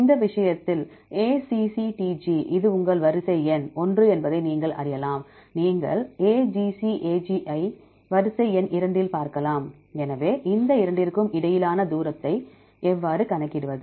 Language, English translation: Tamil, In this case we have, we know only the sequences ACCTG this is your sequence number one, you can sequence number two you can see AGCAG